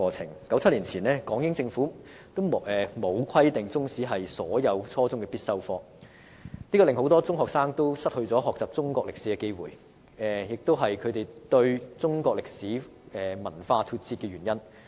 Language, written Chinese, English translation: Cantonese, 在1997年前，港英政府並沒有規定中史為初中必修科，令很多中學生失去學習中國歷史的機會，這也是導致他們與中國歷史文化脫節的原因。, Before 1997 the British Hong Kong Government never required the teaching of Chinese history as a compulsory subject at junior secondary level and thus many secondary school students were deprived of the opportunity to learn Chinese history . This explains why they were out of touch with Chinese history and culture